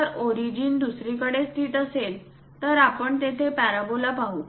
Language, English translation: Marathi, If origin is somewhere located, then we will see parabola in that way